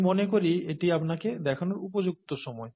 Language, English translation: Bengali, I think it is the right time to show you that